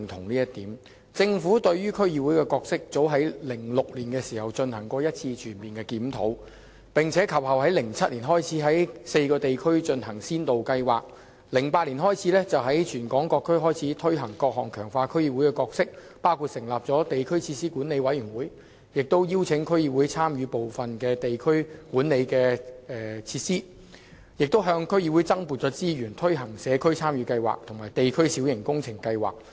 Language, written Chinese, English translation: Cantonese, 早於2006年，政府對於區議會的角色進行了全面檢討，於2007年在4個地區進行先導計劃，並於2008年開始在全港各區推行各項強化區議會角色的措施，包括成立地區設施管理委員會，亦邀請區議會參與管理部分地區設施，更向區議會增撥資源，推行社區參與計劃和地區小型工程計劃。, As early as in 2006 the Government carried out a comprehensive review of the role of DCs and then in 2007 conducted a pilot scheme in four districts . Starting from 2008 the scheme was extended to all 18 DCs with various measures introduced to strengthen DCs role including the setting up of District Facilities Management Committees invitation of DC members to take part in the management of some district facilities and allocation of additional resources to DCs to implement Community Involvement Projects and District Minor Works Programme